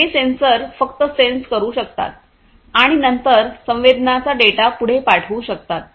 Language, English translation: Marathi, These sensors can only sense and then send the sensed data forward